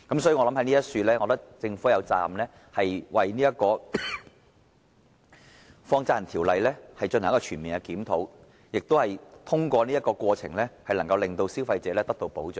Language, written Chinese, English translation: Cantonese, 所以，我認為政府有責任就《放債人條例》進行全面檢討，以及通過這過程，令消費者受到保障。, Hence I consider the Government duty - bound to conduct a comprehensive review of the Money Lenders Ordinance and protect the consumers through this process